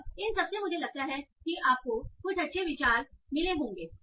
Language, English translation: Hindi, And all of all of this, I guess you would have got some nice idea